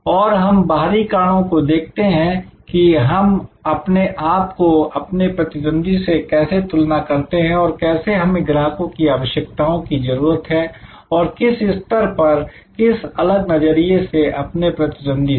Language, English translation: Hindi, And we look at external factors that how do we compare with competitors and how we need customer needs at what level with what differential respect to competitors